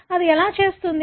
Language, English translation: Telugu, So, how does it do